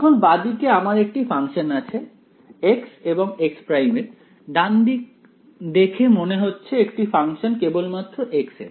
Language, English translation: Bengali, So now, on the left hand side I have a function of x and x prime, right hand side seems to be only a function of x